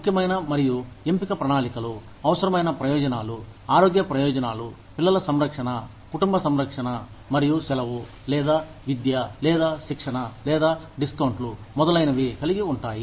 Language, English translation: Telugu, Core plus option plans, consists of a core of essential benefits, health benefits, child care, family care, and either, vacation, or education, or training, or discounts, etcetera